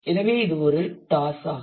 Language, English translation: Tamil, So, it is a toss immediate